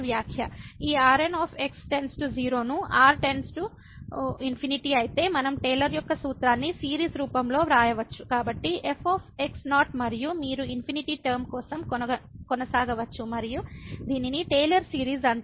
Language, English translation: Telugu, If this reminder goes to 0 as goes to infinity then we can write down that Taylor’s formula in the form of the series so and so on you can continue for infinite term and this is called the Taylor series